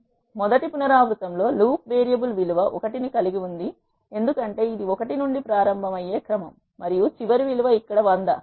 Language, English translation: Telugu, So now, let us see how this things work so in the first iteration the loop variable has a value 1 because it is a sequence starting from 1 and the last value is 100 here